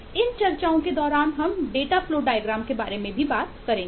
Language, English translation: Hindi, the input was a data flow diagram